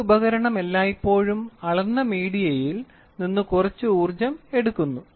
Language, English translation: Malayalam, An instrument always extracts some energy from the measured media